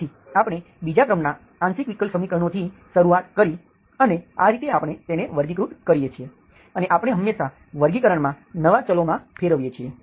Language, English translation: Gujarati, So we started with the second order partial differential equations, we classify them, we always, in the classification we translate into new variables